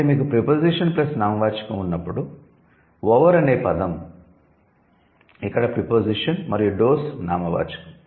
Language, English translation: Telugu, So, when you have a preposition plus noun over is the preposition here and does is the noun